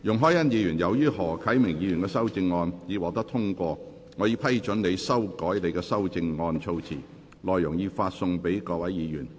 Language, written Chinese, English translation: Cantonese, 容海恩議員，由於何啟明議員的修正案獲得通過，我已批准你修改你的修正案措辭，內容已發送各位議員。, Ms YUNG Hoi - yan as Mr HO Kai - mings amendment has been passed I have given leave for you to revise the terms of your amendment as set out in the paper which has been issued to Members